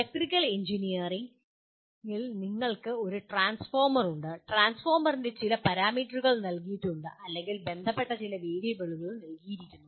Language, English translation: Malayalam, In electrical engineering you have a transformer and some parameters of the transformer are given or some variables associated with are given